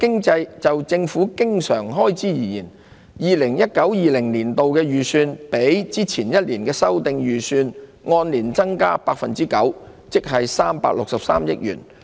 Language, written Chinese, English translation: Cantonese, 就政府經常開支而言 ，2019-2020 年度的預算較前一年的修訂預算，按年增加 9%， 即363億元。, In terms of recurrent government expenditure the estimate for 2019 - 2020 increased 9 % or 36.3 billion year on year over the revised estimate for the previous financial year